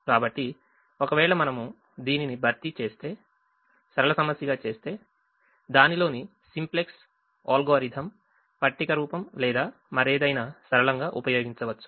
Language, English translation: Telugu, so if we replace this and make it a linear problem, then we can use either the simplex algorithm in its tabular form or any other linear programming way to solve the assignment problem